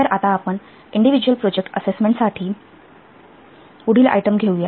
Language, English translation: Marathi, So now we will take up the next item for individual project assessment